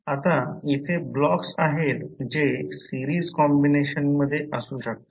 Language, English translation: Marathi, Now there are the blocks which may be in series combinations